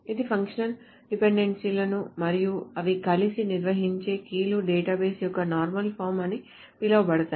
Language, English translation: Telugu, So the functional dependencies and the keys they together define what are called normal forms of the database